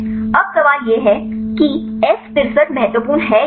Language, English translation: Hindi, Now, the question is whether this F63 is important or not